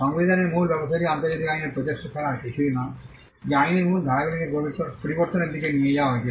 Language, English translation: Bengali, The substantive regime is nothing but efforts in substantive in international law which were moved towards changing the substantive provisions of the law